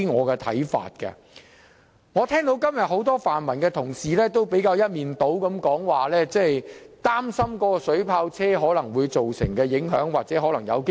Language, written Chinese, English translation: Cantonese, 今天，我聽到多位泛民同事一面倒地表示擔心水炮車可能危及示威者的安全。, Today I have heard many colleagues from the pan - democratic camp overwhelmingly express worries that water cannon vehicles may jeopardize the safety of protesters